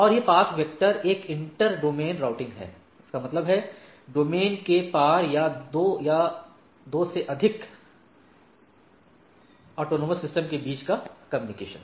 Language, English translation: Hindi, And this path vector is a inter domain routing; that means, across the domain or across the autonomous systems type of things